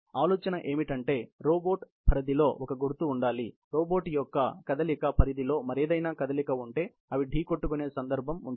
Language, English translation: Telugu, The idea is that within the robot range, there should be a identification; if there is any other movement in the range of movement of the robot, and there is a case of collision